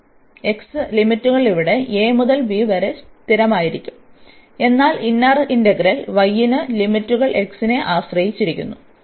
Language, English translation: Malayalam, So, for the x limits are constant here a to b, but for the inter inner integral y the limits were depending on x